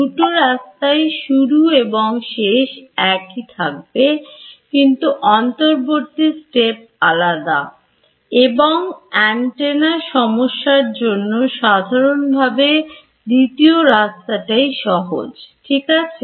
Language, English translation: Bengali, The source and destination of these routes remains the same, but the intermediate steps are different and for antenna problems this is generally true that this second route is easier ok